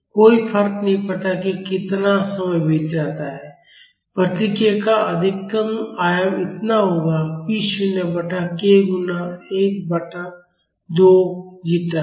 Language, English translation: Hindi, No matter how many how much time passes, the maximum amplitude of the response will be this much p naught by k multiplied by 1 by 2 zeta